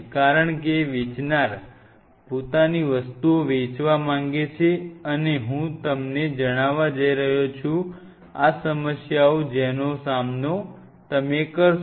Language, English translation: Gujarati, Because seller wants to sell his stuff they are now I am going to tell that here now this is the problem you want going to face